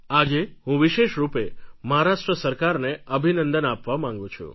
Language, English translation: Gujarati, Today I especially want to congratulate the Maharashtra government